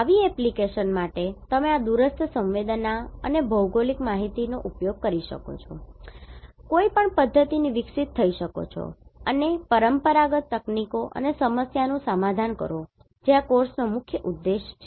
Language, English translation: Gujarati, For such application you can evolve with a method by using this remote sensing and GIS and conventional techniques and solve a problem that is the main objective of this course